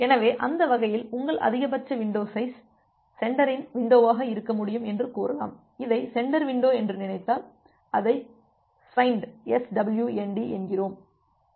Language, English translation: Tamil, So, that way you can say that your maximum window size, the sender window size which can be there, so if you think about this as the sender window, I am writing it as ‘swnd’